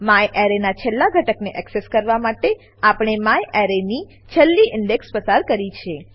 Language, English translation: Gujarati, To access the last element of myArray , we have passed the last index of myArray